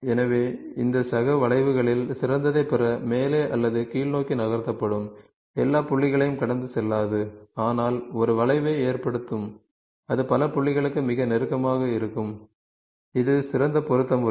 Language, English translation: Tamil, So, this fellow will get moved up or down to get the best in the curves, will not pass through all the points but will result in a curve, that will be closest to as many point, that is best fit method